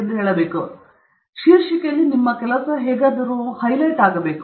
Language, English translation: Kannada, So, that should come somehow get highlighted in the title